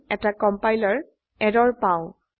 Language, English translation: Assamese, We get a compiler error